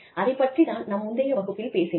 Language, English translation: Tamil, Which is what, we talked about, in the previous class